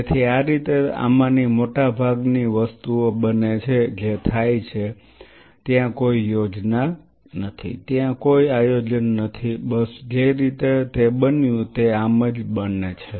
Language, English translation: Gujarati, So, this is how most of these things happen that they happen it is not there is any plan there is any planning that is how it happened it just happen to be like that